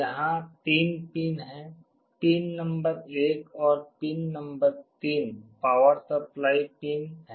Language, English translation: Hindi, There are 3 pins; pin number 1 and pin number 3 are the power supply pins